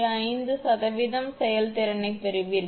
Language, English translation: Tamil, 5 percent the efficiency is